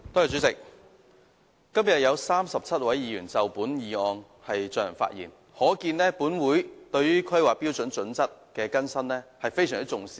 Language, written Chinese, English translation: Cantonese, 主席，今天有37位議員就本議案發言，可見本會對於《香港規劃標準與準則》的更新，非常重視。, President 37 Members have spoken on this motion today reflecting how much importance this Council has attached to the updating of the Hong Kong Planning Standards and Guidelines HKPSG